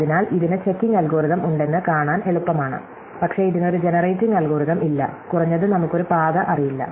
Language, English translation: Malayalam, So, it is easy to see that this has the checking algorithm, but it does not have a generating algorithm, at least we do not know of one